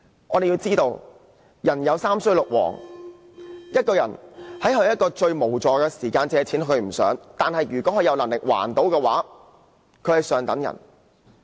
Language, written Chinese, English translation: Cantonese, 我們要知道，"人有三衰六旺"，一個人在最無助的時候借錢，其實他並不想這樣，但如果他有能力還款，便是上等人。, As we should know everyone will have his ups and downs . When a person borrows money at his most helpless moment actually he does not want to do so but if he has the ability to make repayment he is someone respectable